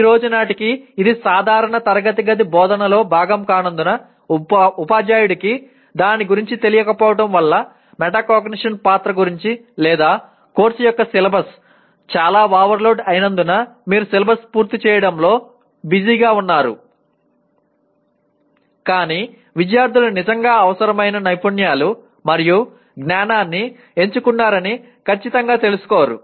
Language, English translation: Telugu, While this is not part of regular classroom teaching as of today because either because teacher is not aware of it, aware of the role of metacognition or the syllabus of the course is so overloaded you are/ one is busy with covering the subject rather than making sure that the students have really picked up the required skills and knowledge